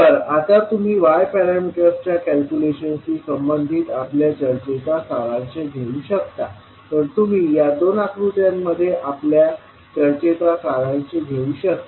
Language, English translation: Marathi, So now, you can summarize our discussion till now related to the calculation of y parameters, so you can summarize our discussion in these two figures